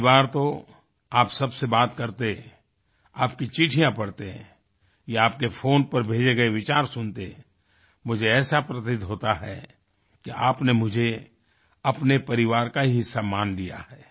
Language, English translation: Hindi, Many times while conversing with you, reading your letters or listening to your thoughts sent on the phone, I feel that you have adopted me as part of your family